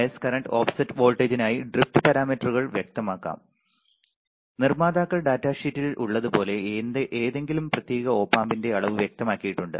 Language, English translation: Malayalam, The drift parameters can be specified for the bias current offset voltage and the like the manufacturers datasheet specifies the quantity of any particular Op Amp